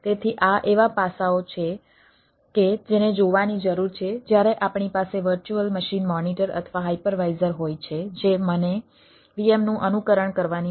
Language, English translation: Gujarati, so these are the aspects which need to be looked into when we have virtual machine monitor or hypervisor influence which allows me to emulate vms